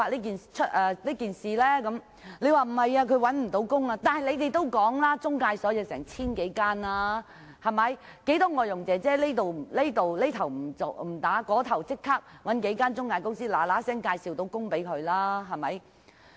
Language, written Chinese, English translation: Cantonese, 他說擔心外傭會因而找不到工作，但你們也說過中介公司有 1,000 多間，其實有不少外傭這邊廂辭工，那邊廂便立即找數間中介公司介紹工作。, He was concerned that relevant foreign domestic helpers might not be able to find jobs because of reporting the cases but in fact many foreign domestic helpers look for job placements through several employment agencies immediately upon resignation as there are more than 1 000 employment agencies as they have mentioned